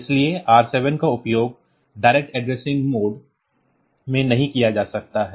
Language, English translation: Hindi, So, R7 cannot be used in the direct addressing mode